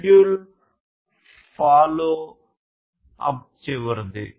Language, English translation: Telugu, Schedule follow up is the last one